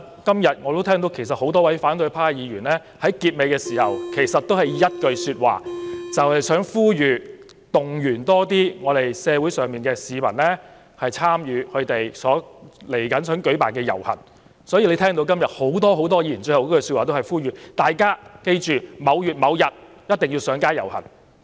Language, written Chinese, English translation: Cantonese, 今天我也聽到多位反對派議員在發言結束時均說出同一句話，便是呼籲、動員多些市民參與他們即將舉辦的遊行，所以大家聽到今天多位議員的結語都是呼籲大家記着在某月某日一定要上街遊行。, I also heard today many Members of the opposition camp make the same remarks in the conclusion of their speeches galvanizing and mobilizing more members of the public to participate in the upcoming march organized by them . Hence many Members have wrapped up their speeches today with a reminder urging people to take to the streets on a certain date